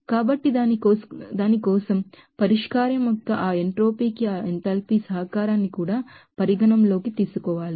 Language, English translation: Telugu, So, for that also have to consider that enthalpy contribution to that entropy of the solution